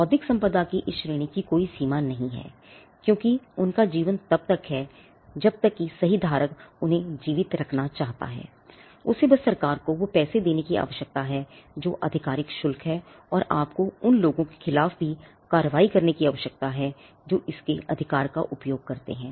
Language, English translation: Hindi, There is no limit to this category of intellectual property because, their life is as long as the right holder wants to keep them alive; he just needs to pay money to the government has official fee and you also needs to take action against people who may use its right